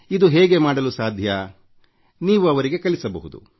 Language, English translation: Kannada, It is possible that you can teach them